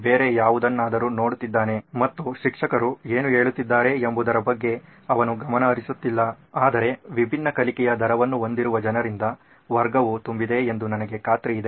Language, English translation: Kannada, He is looking at something else and he is not paying attention to what the teacher is saying but I am sure the class is filled with people who have different learning rates